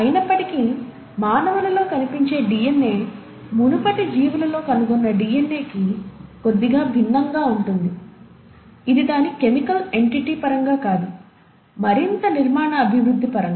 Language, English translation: Telugu, Yet, the DNA which is found in humans is slightly different from the DNA which you find in earlier organisms, not in terms of its chemical entity, but in terms of further architectural development